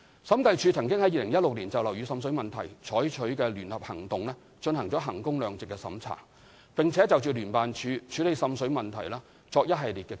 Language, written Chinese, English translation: Cantonese, 審計署曾於2016年就樓宇滲水問題採取的聯合行動進行衡工量值審查，並就聯辦處處理滲水問題作出一系列建議。, The Audit Commission conducted a value - for - money audit on the joint operations on water seepage in buildings in 2016 and made a series of recommendations for JO on handling water seepage